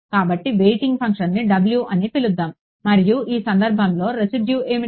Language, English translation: Telugu, So, let us call the weighting function w and what is the residual in this case